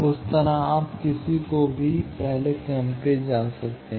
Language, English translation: Hindi, Like that, you can go on any order